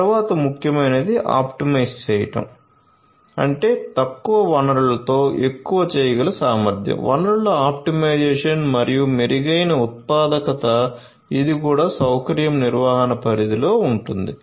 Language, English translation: Telugu, Then most importantly optimize; that means, ability to do more with less resources, optimization of resources and improved productivity this is also within the purview of facility management